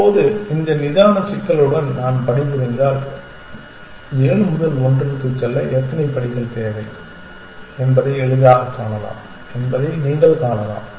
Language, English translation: Tamil, Now, you can see that if I am working with this relaxed problem I can easily find how many steps it take for me to go from seven to one this is two steps now which where we devise the static function